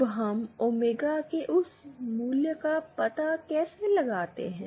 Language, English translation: Hindi, Now, how do we find out that value of omega